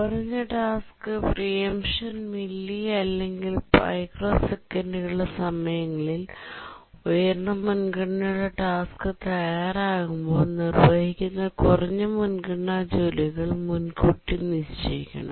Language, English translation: Malayalam, Low task preemption times, the order of milly or microseconds, when a high priority task becomes ready, the low priority task that's executing must be preempted